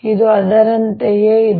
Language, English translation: Kannada, this is similar to that